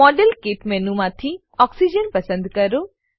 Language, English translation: Gujarati, Click on the modelkit menu and check against oxygen